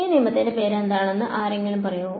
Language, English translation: Malayalam, And here is anyone who knows what this law is called